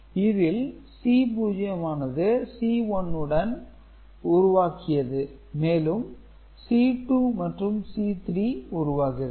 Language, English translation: Tamil, So, this again goes as – to generate C 1, C 1 generates C 2, C 2 generates C 3